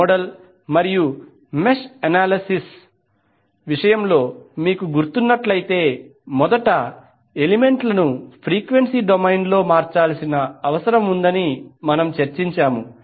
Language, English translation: Telugu, If you remember in case of the nodal n mesh analysis we discussed that first the elements need to be converted in frequency domain